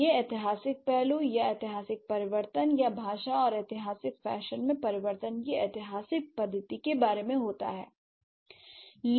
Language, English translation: Hindi, So, that's about the historical aspect or historical change of, historical method of change in language and the typological fashion